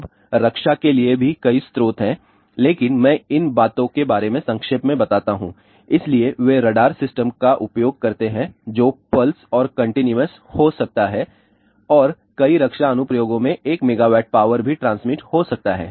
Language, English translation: Hindi, Now, there are several sources for defense also, but I just tell briefly about these things so, they do use radar systems which can be pulse and continuous and in several defense application there may be even transmitting 1 megawatt of power